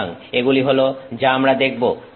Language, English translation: Bengali, So, this is what we are looking at